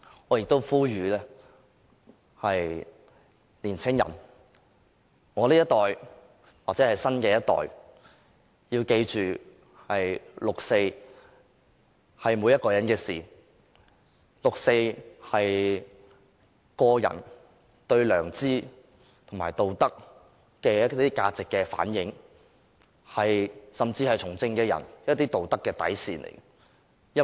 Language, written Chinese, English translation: Cantonese, 我亦呼籲年青人，我這一代或新一代要記着六四是每一個人的事，六四是個人對良知和道德價值的反映，甚至是從政者的道德底線。, I also wish to make an appeal to young people . The generation to which I belong or the new generations should remember the 4 June incident as a matter concerning everybody . The 4 June incident is a reflection of ones conscience and ethical values or even the ethical bottom line of a politician